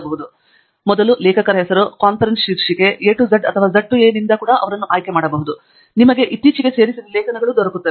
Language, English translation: Kannada, You can also pick them up by the First Author Name, Conference Title, A to Z or Z to A, and you know, recently added articles etcetera